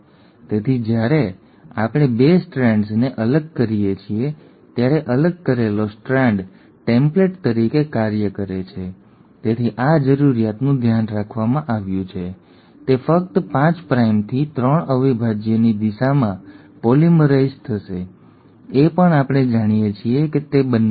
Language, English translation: Gujarati, So when we have separated the 2 strands, the separated strand acts as a template, so this requirement has been taken care of, it will polymerize only in the direction of 5 prime to 3 prime; that also we know it happens